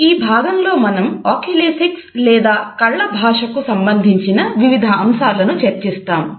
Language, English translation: Telugu, In this module, we will discuss Oculesics or different aspects related with the language of eyes